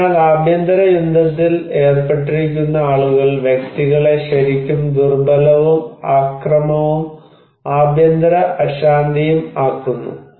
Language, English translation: Malayalam, So, people who are at civil war that really put the individuals as a vulnerable and violence and civil unrest